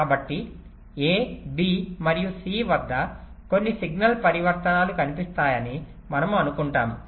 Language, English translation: Telugu, we assume that there are some signal transitions appearing at a, b and c